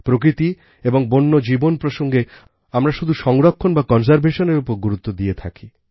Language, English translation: Bengali, Whenever we talk about nature and wildlife, we only talk about conservation